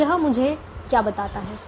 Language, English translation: Hindi, so what does it tell me